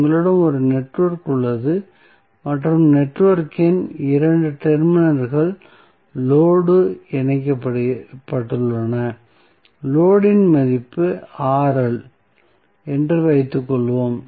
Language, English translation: Tamil, Suppose, you have a network and the 2 terminals of the network are having the load connected that is the value of load is Rl